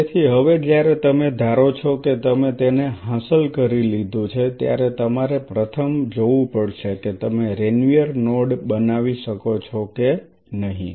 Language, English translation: Gujarati, So, now, when you achieve if you believe you have achieved it first thing you have to see whether you could make or form a node of Ranvier or not